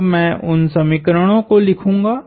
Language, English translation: Hindi, So, I will write those equations